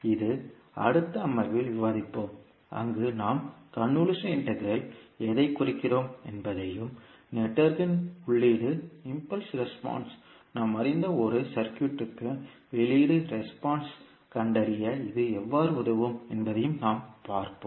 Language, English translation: Tamil, This, we will discuss in the next session where we will see what do we mean by the convolution integral and how it can help in finding out the output response of a circuit where we know the input impulse response of the network